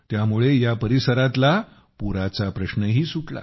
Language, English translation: Marathi, This also solved the problem of floods in the area